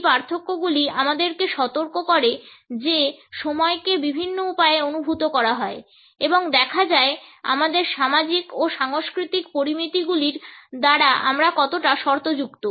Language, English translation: Bengali, These differences alert us to the manner in which time is perceived in different ways and the extent to which we are conditioned by our social and cultural parameters